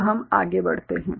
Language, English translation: Hindi, So, we move on